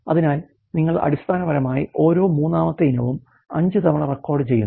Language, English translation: Malayalam, So, you basically recording every third item 5 times